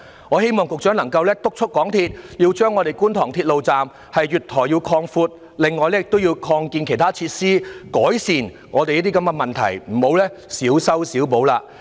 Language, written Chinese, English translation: Cantonese, 我希望局長能夠督促港鐵公司，擴闊觀塘鐵路站月台，還要擴建其他設施，改善這些問題，不要再小修小補。, I hope the Secretary can urge MTRCL to expand the platform of Kwun Tong Station and construct more facilities to improve these problems rather than making small changes and minor maintenance